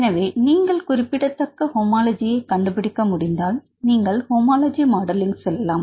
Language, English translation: Tamil, So, if you can find significant homology then you can go with the comparative modelling or homology modelling fine